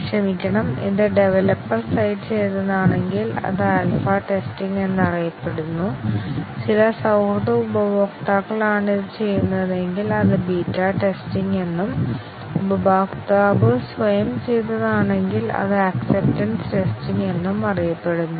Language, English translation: Malayalam, Sorry, if it is done by the developer site, it is known as the alpha testing; if it is done by some friendly customers, it is known as beta testing and if it is done by the customer himself or herself, it is known as the acceptance testing